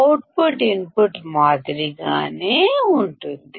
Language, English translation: Telugu, the output would be similar to the input